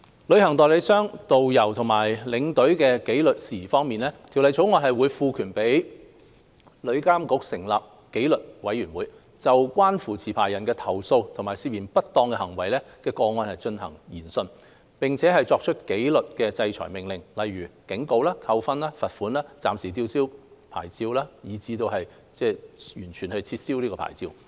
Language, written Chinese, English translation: Cantonese, 旅行代理商、導遊和領隊的紀律事宜方面，《條例草案》會賦權旅監局成立紀律委員會，就關乎持牌人的投訴和涉嫌不當行為的個案進行研訊，並作出紀律制裁命令，例如警告、扣分、罰款、暫時吊銷牌照，以至完全撤銷牌照。, Regarding disciplinary matters concerning travel agents tourist guides and tour escorts the Bill empowers TIA to establish a disciplinary committee to inquire into complaints and suspected unscrupulous acts of licensees and make disciplinary orders such as warning demerit points financial penalty licence suspension or even revocation